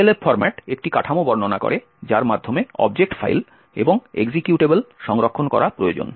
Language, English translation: Bengali, Elf format describes a structure by which object files and executables need to be stored